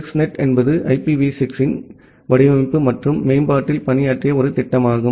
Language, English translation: Tamil, The 6NET is a project that worked on the design and development of IPv6